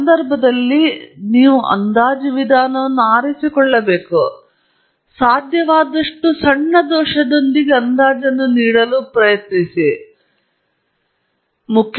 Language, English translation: Kannada, And in this context, you should choose an estimation method that gives you an estimate with as small error as possible and we will talk about it a bit more in detail